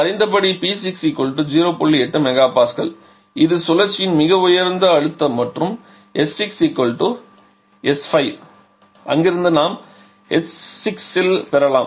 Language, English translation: Tamil, 8 mega Pascal and s 6 is equal to s 5 from there we can get at h 6